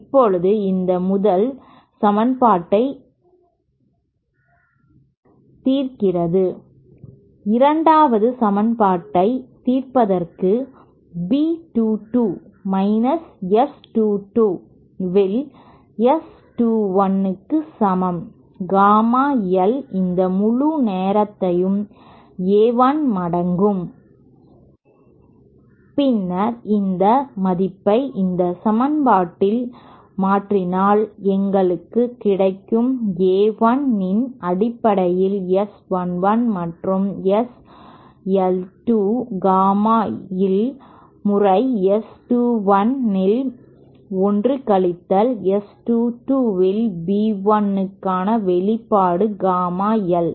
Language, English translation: Tamil, So then I should be able to write this equation as and this asÉ Now solving this first equation as, I beg your pardon solving the second equation will get B 2 is equal to S 2 1 upon 1 minus S 2 2 gamma l times this whole times A 1 and then if you substitute this value in this equation we get an expression for B 1 in terms of A 1 as S 1 1 plus S l 2 gamma l times S 2 1 upon 1 minus S 2 2 gamma l